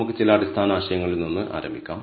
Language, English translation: Malayalam, So, let us start with some basic concepts